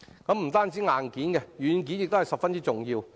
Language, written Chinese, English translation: Cantonese, 不僅是硬件，軟件亦十分重要。, Not only hardware software is also very important